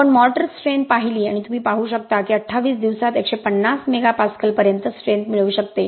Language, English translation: Marathi, We did mortar strength and you can see that we can get upto 150 mega Pascal strength at 28 days